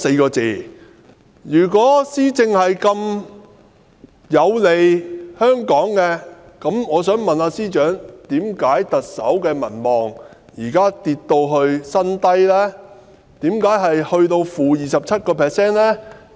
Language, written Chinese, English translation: Cantonese, 然而，如果施政對香港這麼有利，我想問司長，為甚麼特首的民望如今竟跌至 -27% 的新低呢？, Yet may I ask the Chief Secretary had the administration been beneficial to Hong Kong why the approval rating of the Chief Executive would have dropped to the record low of - 27 % now?